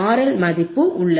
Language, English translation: Tamil, I can find the value of R L